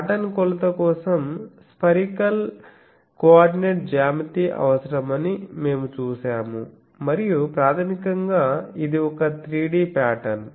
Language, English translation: Telugu, So, for pattern measurement we have seen that spherical coordinate geometry is required and you can have basically it is a 3D pattern